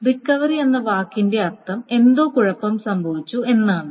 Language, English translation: Malayalam, So, what recovery means that something has gone wrong